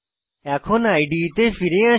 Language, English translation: Bengali, Now, come back to the IDE